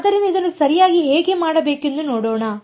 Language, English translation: Kannada, So, let us see how to do this correctly alright